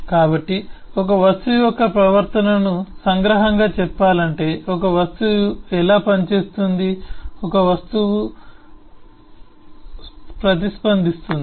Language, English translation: Telugu, so to summarize, eh, the behavior of an object is how an object acts, how an object acts and reacts